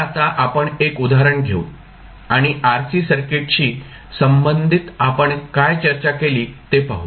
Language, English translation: Marathi, So now, let us take 1 example and let us what we discussed till now related to RC circuit